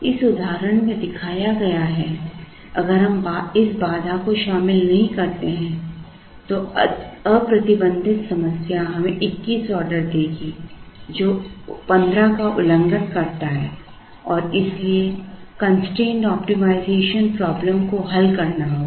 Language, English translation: Hindi, As shown in this example, if we do not include this constraint, the unrestricted problem will give us 21 orders, which violates 15 and therefore, the constraint optimization problem has to be solved